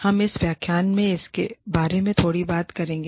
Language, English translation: Hindi, We will talk about it, a little bit, in this lecture